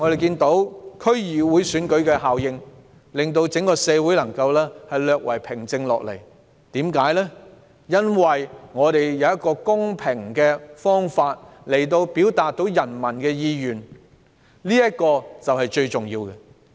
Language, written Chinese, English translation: Cantonese, 近數天，區議會選舉效應令整個社會稍為平靜下來，因為有一個公平的方法表達人民的意願，這是最重要的。, These few days the effects of the DC Election have brought some calmness to our society because there is a fair means for people to express their aspirations which is most important